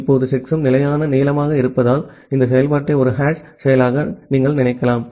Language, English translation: Tamil, Now, because the checksum is of fixed length, you can think of this function as a hash function